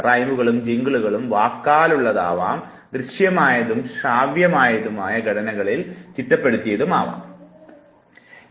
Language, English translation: Malayalam, Although, rhymes and jingles are mostly verbal, you can think of visual and auditory formats of rhymes and jingles